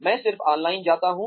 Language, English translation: Hindi, I just go online